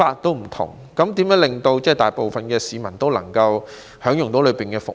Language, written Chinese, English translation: Cantonese, 如何可以令大部分市民均能享用園內的服務？, How can the majority of the public enjoy the services in the park?